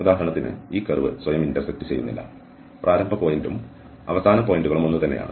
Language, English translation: Malayalam, So, for instance this curve does not intersect itself and initial point and the end points are the same